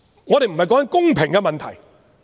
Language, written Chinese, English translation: Cantonese, 我們不是在談公平的問題。, We are not talking about the issue of fairness